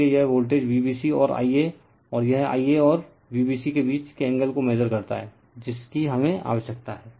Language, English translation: Hindi, So, it measures the voltage V b c and the I a and the angle between the I a and V b c that we need